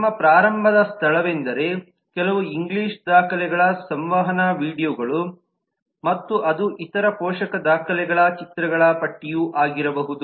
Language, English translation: Kannada, our starting point has been certain english documents, interaction, videos and it could be other supporting documents, images, charts and so on